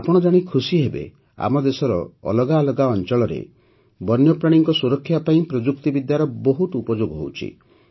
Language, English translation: Odia, You will be happy to know that technology is being used extensively for the conservation of wildlife in different parts of our country